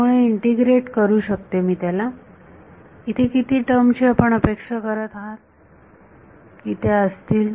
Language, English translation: Marathi, So, I can integrate it, how many terms do you expect will happen